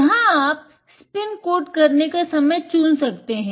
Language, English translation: Hindi, Here you can select the time that you need to spin code